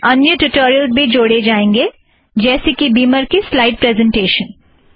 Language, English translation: Hindi, There will also be other tutorial in the near future, for example, beamer for slide presentation